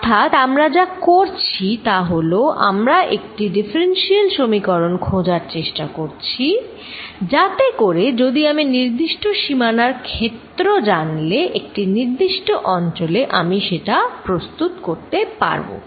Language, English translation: Bengali, So, what we are doing is we are trying to find a differential equation, so that if I know field on a certain boundary, in a certain region I can build it up from there